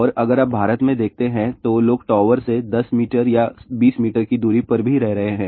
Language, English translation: Hindi, And if you see in India, people are living even at 10 meter or 20 meter distance from the tower